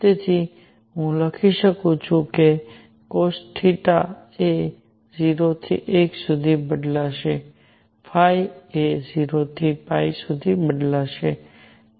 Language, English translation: Gujarati, So, I can write theta cosine theta is going to vary from 0 to 1; phi is going to vary from 0 to 2 pi